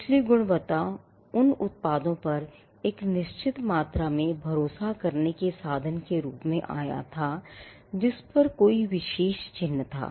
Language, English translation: Hindi, So, the quality part came as a means of attributing a certain amount of trust on the products that were sold bearing a particular mark